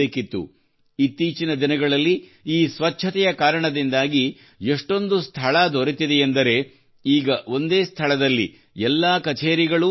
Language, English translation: Kannada, These days, due to this cleanliness, so much space is available, that, now, all the offices are converging at one place